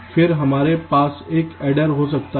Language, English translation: Hindi, then we can have an adder